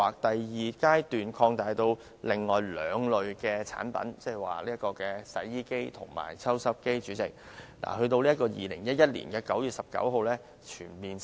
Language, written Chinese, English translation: Cantonese, 第二階段擴大至另外兩類產品，即洗衣機和抽濕機，在2011年9月19日才全面實施。, The second phase fully implemented on 19 September 2011 covered two more types of products namely washing machine and dehumidifier